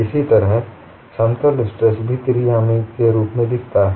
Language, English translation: Hindi, Similarly, the plane stress also looks as a three dimensional one